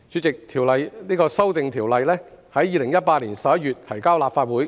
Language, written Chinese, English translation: Cantonese, 代理主席，《條例草案》於2018年11月提交立法會。, Deputy President the Bill was presented to the Legislative Council in November 2018